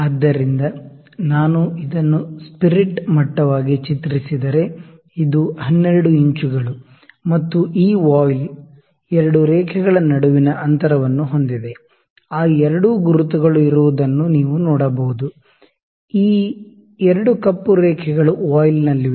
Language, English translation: Kannada, So, if I draw this as my spirit level this is 12 inch, and this voile the distance between the 2 lines, you can see the 2 markings are there, 2 black lines are there on the voile